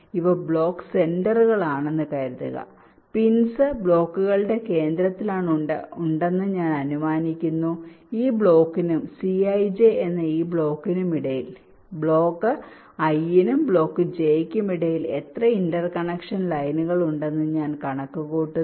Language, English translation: Malayalam, i assume that the pins are residing at the centers of blocks and i calculate how many interconnection lines are there between this block and this block, that is, c i j between block i and block j